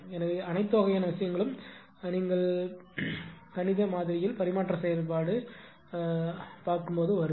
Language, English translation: Tamil, So, all some things will come in the what you call in the mathematical model right, in the transfer function model